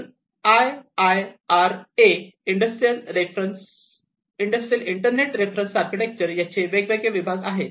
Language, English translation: Marathi, So, this IIC is the one which came up with that the Industrial Internet Reference Architecture, IIRA architecture